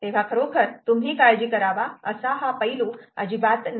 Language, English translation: Marathi, so it's not really aspect that you should be worried about